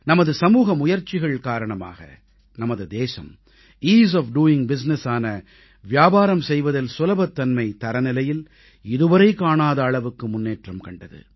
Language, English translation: Tamil, It is due to our collective efforts that our country has seen unprecedented improvement in the 'Ease of doing business' rankings